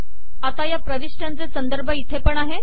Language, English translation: Marathi, So now the referencing of these entries are also here